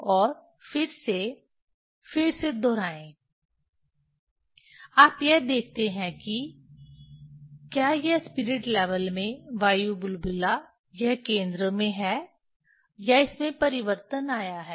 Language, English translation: Hindi, And again repeat the again you see this whether this spirit level that air bubble is it is at the centre or it has change